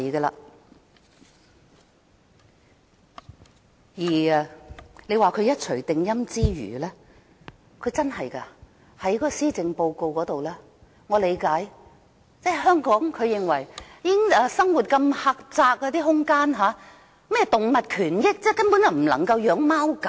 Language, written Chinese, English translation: Cantonese, 至於說她一錘定音之餘，她在施政報告中說——這點我能理解——認為香港生活空間如此狹窄，說甚麼動物權益，根本不能飼養貓狗。, She wants to have all the say and at the same time in the Policy Address she says that since living space in Hong Kong is so crammed it is simply not possible to keep any cats and dogs and talk about animal rights